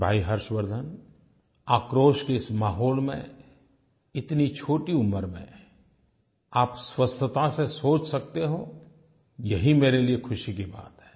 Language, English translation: Hindi, Brother Harshvardhan, I am happy to know that despite this atmosphere charged with anger, you are able to think in a healthy manner at such a young age